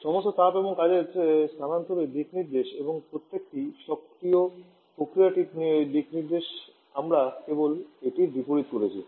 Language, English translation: Bengali, Directions of all heat and work transfer and also the direction of each of the processes we have just reversed in